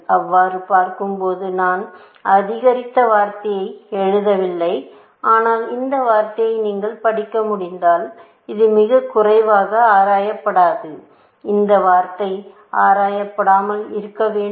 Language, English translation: Tamil, Looking so, I have not written the word incremented, but it is the lowest unexplored, if you can read this word; this word must be unexplored